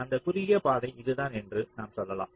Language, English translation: Tamil, lets say the shortest path is this